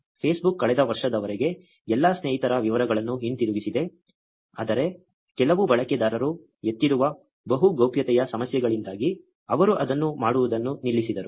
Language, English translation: Kannada, Facebook did return the details of all the friends up until last year, but due to multiple privacy issues raised by some users, they stopped doing it